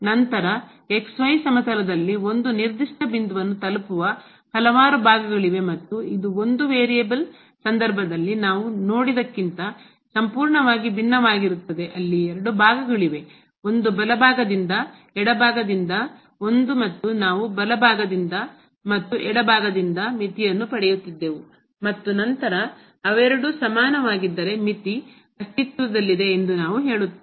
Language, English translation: Kannada, Because what we will observe now in case of these two variable when we have the functions of two variables, then there are several parts which approaches to a particular point in the xy plane and this is completely different what we have seen in case of one variable where there were two parts; one from the right side, one from the left side and we used to get the limit from the right side, from the left side and then, if they both are equal we say that the limit exist